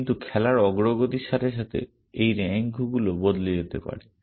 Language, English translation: Bengali, But as the game progresses these ranks might change